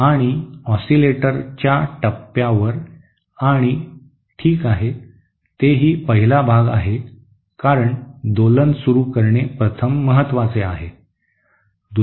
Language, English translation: Marathi, And also at the point of [osc] and also okay that is first part because the start up of oscillation is first important